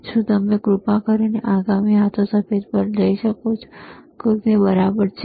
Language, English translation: Gujarati, Can you please go to the next knob white that is it right